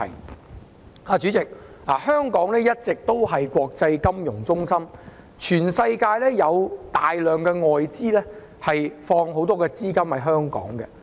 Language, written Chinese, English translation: Cantonese, 代理主席，香港一直以來是個國際金融中心，全世界有大量外資把許多資金存放在香港。, Deputy President Hong Kong has all along been an international financial centre and a large number of foreign enterprises throughout the world have placed a lot of funds in Hong Kong